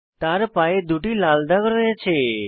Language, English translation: Bengali, They see two red spots on the foot